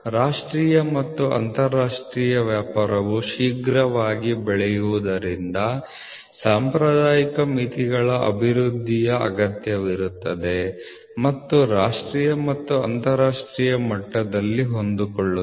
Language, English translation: Kannada, The rapid growing of national and international trade necessitates the development of a formal system of limits and fits at the national and international level